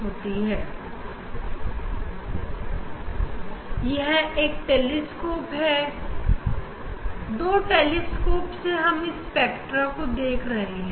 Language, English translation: Hindi, now this is the telescope ok, two telescope we are seeing the spectra